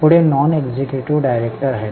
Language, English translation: Marathi, Next are non executive directors